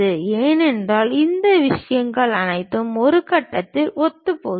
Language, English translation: Tamil, Because all these things are coinciding at this point